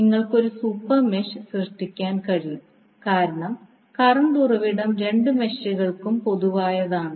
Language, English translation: Malayalam, You can create super mesh because the current source is common to both of the meshes